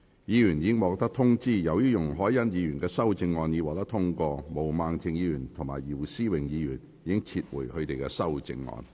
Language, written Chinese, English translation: Cantonese, 議員已獲通知，由於容海恩議員的修正案獲得通過，毛孟靜議員及姚思榮議員已撤回他們的修正案。, Members have already been informed as Ms YUNG Hoi - yans amendment has been passed Ms Claudia MO and Mr YIU Si - wing have withdrawn their amendments